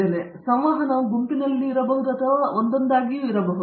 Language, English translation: Kannada, So the interaction could be in a group or could be one on one